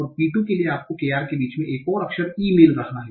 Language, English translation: Hindi, And for P2, you are getting another word, another character E in between KR